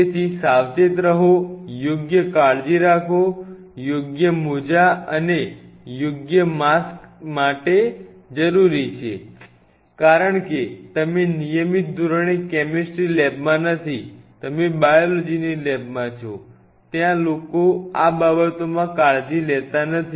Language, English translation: Gujarati, So, be very careful take proper care, proper gloves, I would necessary mask, and then do these kinds of things because in a regular biology lab where you are not doing chemistry on regular basis people are little you know not very careful on these matters